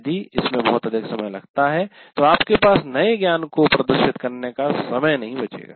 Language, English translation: Hindi, If it takes too long then you don't have time for actually demonstrating the new knowledge